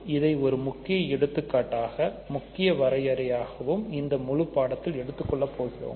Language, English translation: Tamil, So, this is the important example important definition for the whole course